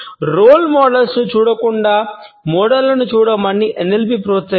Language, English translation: Telugu, NLP encourages us to look at models instead of looking at role models